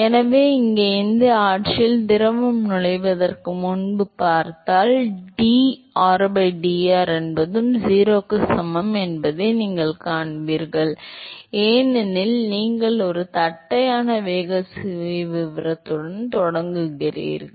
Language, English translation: Tamil, So, here, if you see before it the fluid enter in this regime you will see that du by dr is also equal to 0 because you start with a flat velocity profile